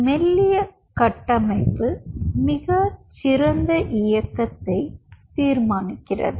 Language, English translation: Tamil, thinner the structure, you will see much more better motion